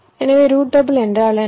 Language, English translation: Tamil, so what is meant by routable